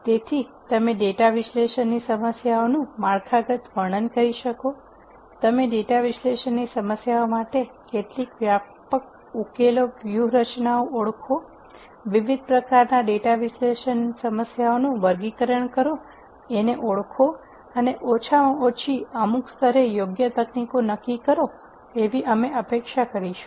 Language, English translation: Gujarati, So, you would expect you to be able to describe data analysis problems in a structured framework, once you describe that would expect you to identify some comprehensive solution strategies for the data analysis problems, classify and recognize different types of data analysis problems and at least to some level determine appropriate techniques